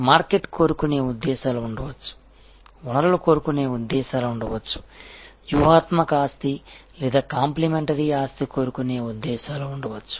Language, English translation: Telugu, There can be market seeking motives, there can be resource seeking motives, there can be strategic asset or complementary asset seeking motives